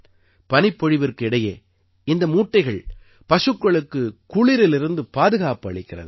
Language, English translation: Tamil, During snowfall, these sacks give protection to the cows from the cold